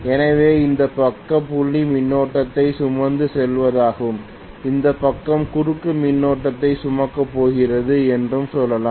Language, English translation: Tamil, So this side let us say is carrying dot current and this side is going to carry cross current